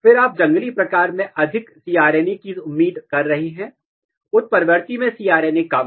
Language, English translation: Hindi, Then you are expecting more cRNA in wild type, less cRNA in mutant